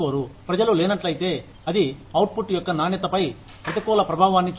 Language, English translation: Telugu, If people are absent, then it has a negative impact, on the quality of the output